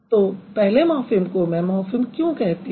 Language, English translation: Hindi, So, the morphem 1, why I would call it a morphem